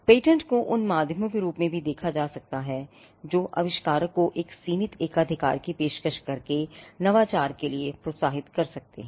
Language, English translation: Hindi, Patents are also seen as instruments that can incentivize innovation by offering a limited monopoly for the inventor